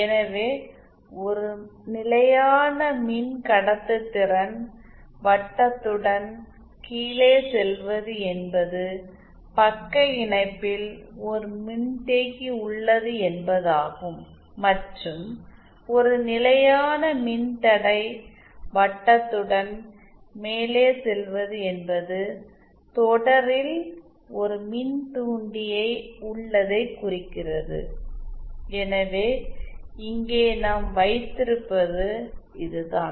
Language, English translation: Tamil, So going down along a constant conductance circle means a capacitor in shunt and going up along a constant resistance circle means an inductor in series so that’s what we have here